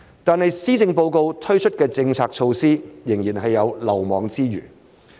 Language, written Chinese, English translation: Cantonese, 但是，施政報告推出的政策措施，仍然有漏網之魚。, However there are still some omissions in the Policy Address